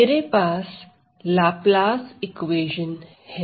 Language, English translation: Hindi, So, I have the so called Laplace equation